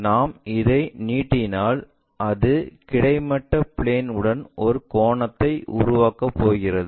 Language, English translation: Tamil, If we are extending that is going to make an angle with the horizontal plane